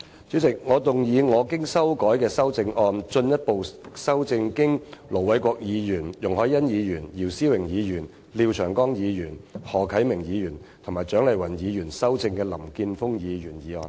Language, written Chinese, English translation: Cantonese, 主席，我動議我經修改的修正案，進一步修正經盧偉國議員、容海恩議員、姚思榮議員、廖長江議員、何啟明議員及蔣麗芸議員修正的林健鋒議員議案。, President I move that Mr Jeffrey LAMs motion as amended by Ir Dr LO Wai - kwok Ms YUNG Hoi - yan Mr YIU Si - wing Mr Martin LIAO Mr HO Kai - ming and Dr CHIANG Lai - wan be further amended by my revised amendment